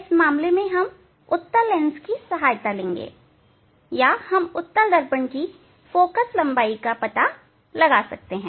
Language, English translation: Hindi, for this case taking help of convex lens or we can find out the focal length of the convex mirror